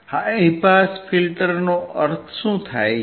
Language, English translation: Gujarati, What does high pass filter means